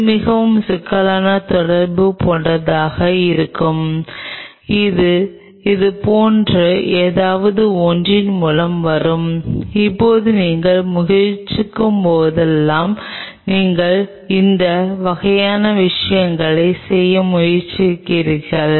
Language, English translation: Tamil, Which will be something like much more complex interaction which will be coming through something like this, now whenever you are trying you are trying to do this kind of things you are giving much more